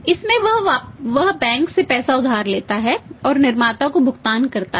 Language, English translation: Hindi, In that would he do borrow the money from the bank and pay to the manufacturer